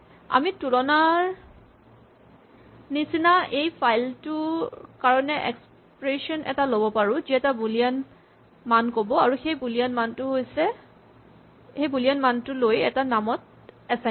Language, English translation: Assamese, And we can take an expression of this file kind of comparison, which yields as we said a Boolean value, and take this Boolean value and assign it to a name